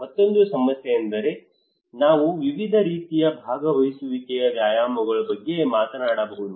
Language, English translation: Kannada, Another problem is that when we are talking about various kind of participatory exercises